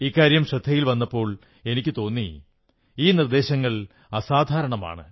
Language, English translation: Malayalam, And when these things came to my notice I felt that these suggestions are extraordinary